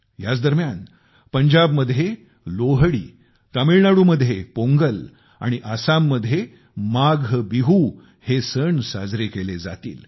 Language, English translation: Marathi, During this time, we will see the celebration of Lohri in Punjab, Pongal in Tamil Nadu and Maagh Biihu in Assam